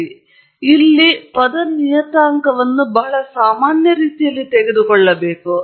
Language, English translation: Kannada, So, the term parameter here should be taken in a very generic manner